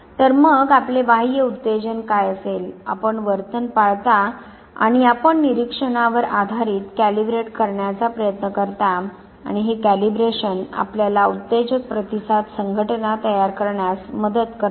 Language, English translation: Marathi, So, what would happen you have an external stimulus, you observe the behavior and based on the observation you try to calibrate and this calibration helps you form the stimulus response association